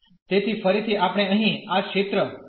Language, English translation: Gujarati, So, again we need to draw the region here